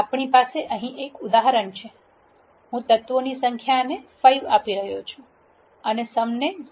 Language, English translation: Gujarati, We will have an example here, I am initialising number of elements to be 5 and some to be 0